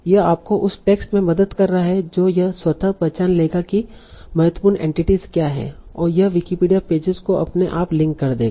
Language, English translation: Hindi, So it is helping you in that given a text it will automatically identify what are the important entities and to link the Wikipedia pages